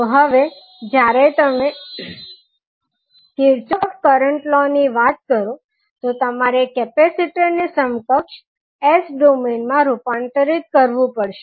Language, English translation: Gujarati, So now when you see Kirchhoff’s current law means you have to convert this capacitor into equivalent s domain